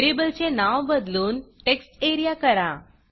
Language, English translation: Marathi, Rename the variable as textarea